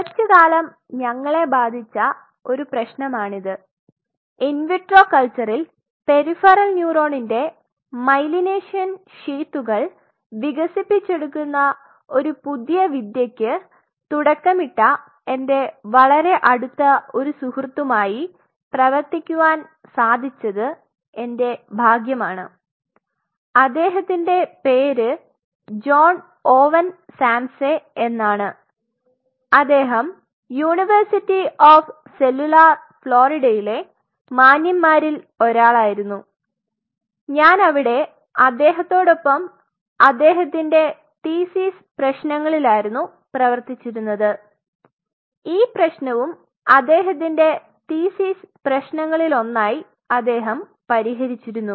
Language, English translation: Malayalam, So, this is one problem which boggled us for a while and very fortunate to work with a very close friend of mine who has pioneered this technique of developing myelination sheet on a peripheral neuron in an in vitro culture I will share this his name is John Owen Samsay was one of the gentlemen in University of Cellular Florida where I was working with him on his thesis problem and this is the problem what he solved in his thesis one of the problems he solve many other problems, but this is one of the problem